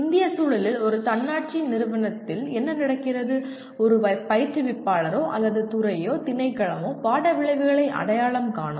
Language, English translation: Tamil, And in Indian context what happens in an autonomous institution, it is the instructor or at the department, the department itself will identify the course outcomes